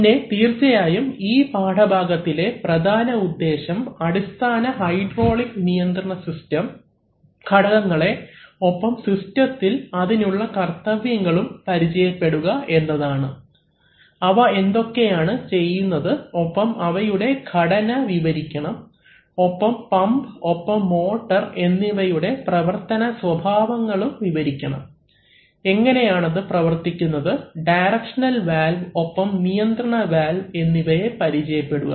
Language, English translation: Malayalam, Then, of course, we have to be the main purpose of the lesson is to be familiar with the basic hydraulic system components and their roles in the system, what they do and describe the constructional and functional aspects of hydraulic pumps and motors, how they function, and be familiar with directional valves and control valves, they are very important components